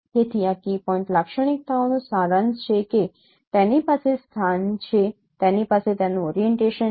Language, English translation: Gujarati, So this is a summary of a key point characterizations that it has a location, it has a scale, it has an orientation